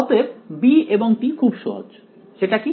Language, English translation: Bengali, So, b’s and t’s are easy; what is the